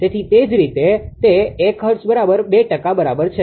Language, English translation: Gujarati, So, that is why it is 1 hertz is equal to 2 pi or 2 percent right